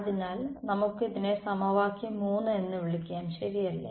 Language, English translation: Malayalam, So, let us this just this equation let us call it equation 3 right